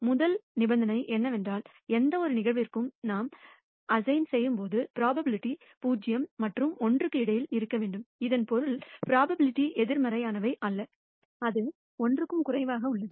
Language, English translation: Tamil, The first condition is that the probability we assign to any event should be bounded between 0 and 1 and that means, probabilities are non negative and it is less than 1